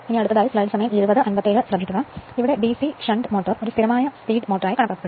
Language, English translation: Malayalam, Therefore the DC shunt motor is therefore, considered as a constant speed motor